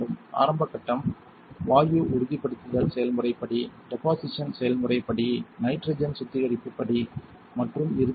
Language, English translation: Tamil, The initial step the gas stabilization process step, the deposition process step, the nitrogen purge step and the end step